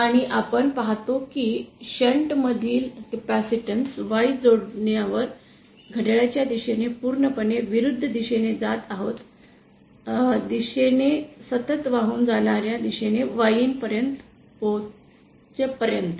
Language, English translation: Marathi, and we see that on connecting a capacitance in shunt Y traverses in the anticlockwise direction along constant conductance circle till it reaches the point YN